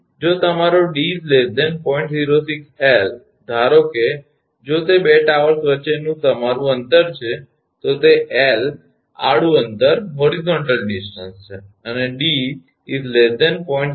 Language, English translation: Gujarati, 06 L, suppose if it is total your distance between the 2 towers is L horizontal distance, and d is your less than 0